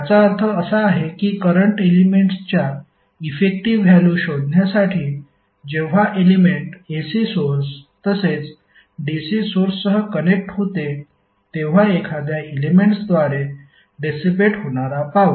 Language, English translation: Marathi, It means that to find out the effective value of current we have to equate the power dissipated by an element when it is connected with AC source and the DC source